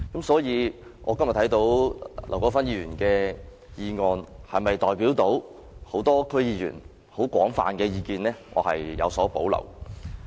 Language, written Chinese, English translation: Cantonese, 所以，劉國勳議員的議案是否能代表眾多區議員廣泛的意見，我對此有所保留。, Therefore I have reservations about whether Mr LAU Kwok - fans motion can represent the general views of all DC members